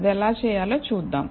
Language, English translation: Telugu, Now, let us see how to do that